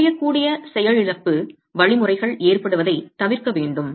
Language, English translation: Tamil, We want to avoid the occurrence of brittle failure mechanisms